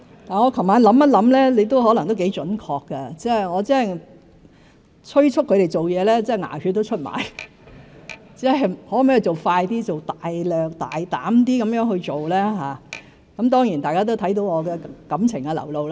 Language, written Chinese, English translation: Cantonese, 我昨日回想，容議員可能也頗準確，我催促同事做事真的"牙血都出了"，我要求他們做快一點、放膽一些去做；當然，大家也看到我的感情流露。, I reviewed it yesterday and thought Ms YUNGs descriptions might be quite accurate . When I urged my colleagues to work I really became blue in the face; I asked them to work faster and with more confidence . Of course Members also saw me express my emotions